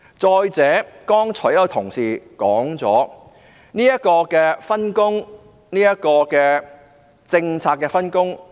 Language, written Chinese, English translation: Cantonese, 再者，有同事剛才已指出有關政策上的分工問題。, Moreover a colleague just pointed out the issue of division of work on the policy level